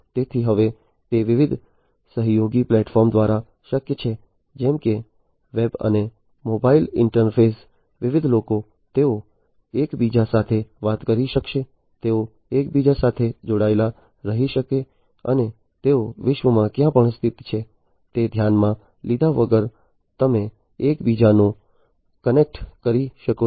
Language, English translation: Gujarati, So, now it is possible through different collaborative platforms, such as web and mobile interface different people, they would be able to talk to one another they can remain connected to one another and irrespective of where they are located in the world they you can connect to one another